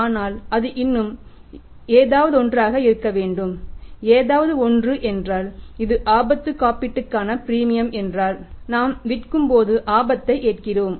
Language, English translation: Tamil, But it should be something more and something more means that is the premium for premium for risk that when we are selling on the credit we are taking there is risk also